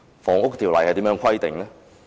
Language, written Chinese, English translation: Cantonese, 《房屋條例》是如何規定的？, What does the Housing Ordinance stipulate?